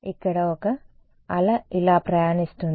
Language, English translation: Telugu, Here is a wave traveling like this